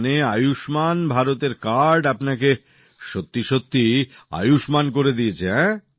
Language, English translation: Bengali, So the card of Ayushman Bharat has really made you Ayushman, blessed with long life